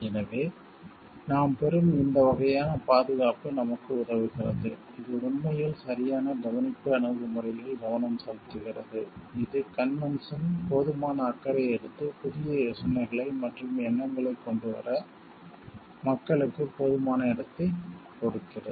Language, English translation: Tamil, So, these kind of protection that we get, helps us so, this is actually focusing on the due care this is actually focusing on the due care approach, which the convention has taken to take enough care and give enough space for the people to come up with inventions, come up with new ideas and thoughts